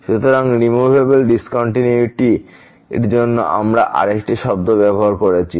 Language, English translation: Bengali, So, there is another term we used for removable discontinuity